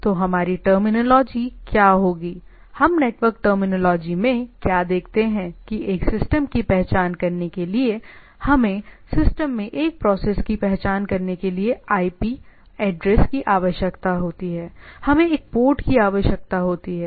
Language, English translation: Hindi, So, what so, if in our terminology, what we in network terminology, what we see that what we see that to identify a system we require IP address to identify a process in the system, we require a port